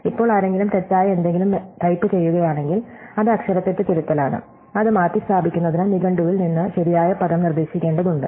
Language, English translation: Malayalam, Now, if somebody types something that is a wrong, then it is spelling corrective will have to suggest the correct word from the dictionary to replace it